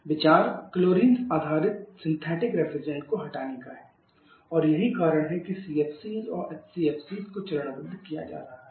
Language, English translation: Hindi, The ideas to remove chlorine based a synthetic refrigerant that is why CFC and HCFC is being faced out